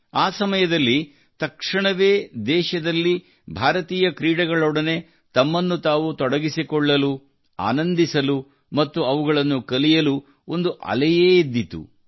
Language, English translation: Kannada, Immediately at that time, a wave arose in the country to join Indian Sports, to enjoy them, to learn them